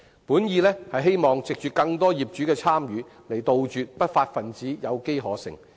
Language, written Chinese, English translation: Cantonese, 本意是希望藉着更多業主的參與，杜絕不法分子有機可乘。, The original intent is to increase participation of owners so as to prevent unruly elements from exploiting opportunities